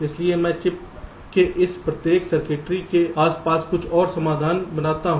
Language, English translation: Hindi, so i manufacture something else means around each of this circuitry of the chip